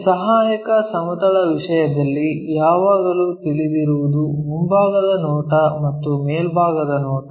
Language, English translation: Kannada, So, in this auxiliary planes thing, what we always know is front view and top view